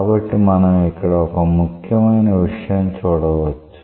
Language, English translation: Telugu, So, what we can see from here is a very important thing